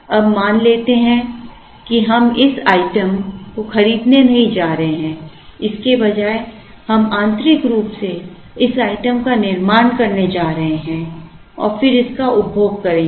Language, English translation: Hindi, Now, let us assume that we are not going to buy this item, instead we are going manufacture this item internally and then consume it